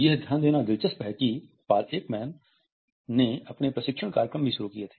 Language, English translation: Hindi, It is interesting to note that Paul Ekman had also started his training programmes